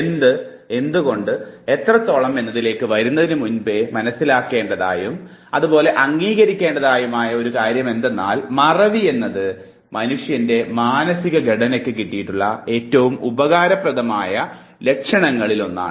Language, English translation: Malayalam, But before we come to what and why and how much, let us understand one thing and accept one thing that forgetting is one of the most useful attributes that you can visualize for human memory system